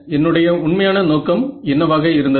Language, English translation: Tamil, What was my original objective